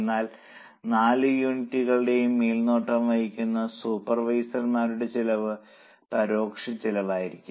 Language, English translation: Malayalam, But the cost of the supervisors who are supervising all the four units, it will be an indirect cost